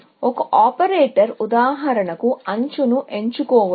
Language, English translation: Telugu, One operator could be the choosing an edge, for example